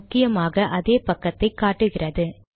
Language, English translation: Tamil, More importantly, it shows the same page